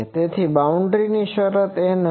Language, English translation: Gujarati, So, boundary condition will be n